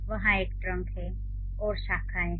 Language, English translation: Hindi, There is a trunk, there are branches